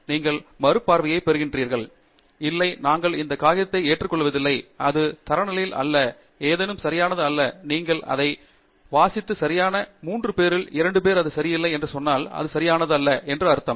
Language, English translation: Tamil, When you get the review even if it says, no, we do not accept this paper, it is not up to the standards or something is not correct about it, you read it, don’t just say that ok two out of three people said it is not correct, so that is means it is not correct